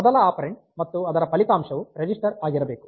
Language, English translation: Kannada, First operand and the result must be register